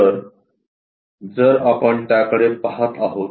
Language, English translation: Marathi, So, if we are looking at it